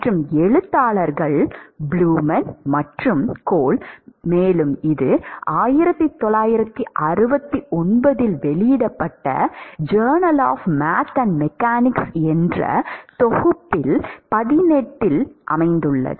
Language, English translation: Tamil, And the authors are blumen and Cole, and it is in the Journal of Math and Mechanics, volume 18 published in 1969